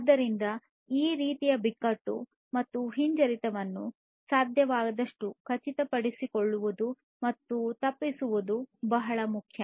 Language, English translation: Kannada, So, it is very important to ensure and avoid this kind of crisis and recession as much as possible